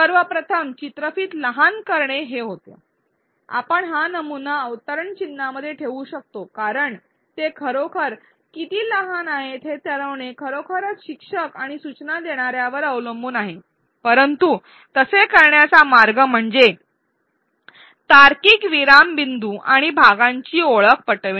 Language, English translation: Marathi, The first one of course, was to make videos short and we can put this short in quotes because it is really up to the instructor and instructional designer to decide how short they are, but the way to do it is to identify the logical pause points and the chunks